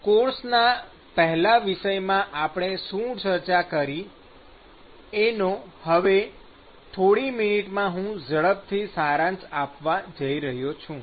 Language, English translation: Gujarati, Okay, so, I am going to quickly summarize in the next couple of minutes what we the first topic that we have finished